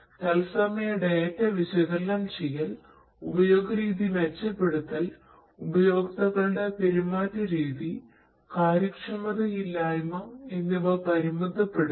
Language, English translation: Malayalam, Analyzing real time data, improving the usage pattern, behavioral pattern of users, inefficiency, reduction of inefficiency